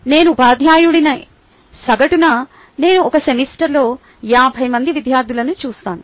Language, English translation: Telugu, on average, i come across about fifty students in a semester